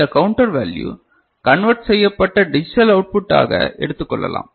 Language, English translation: Tamil, And this counter value can be taken as the digital output, a converted value is it clear, ok